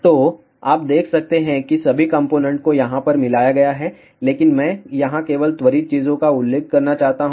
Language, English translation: Hindi, So, you can see that all the components have been soldered over here, but I just want to mention over here quick things